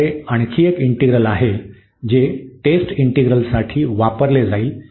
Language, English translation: Marathi, We have one more integral which will be used for the test integral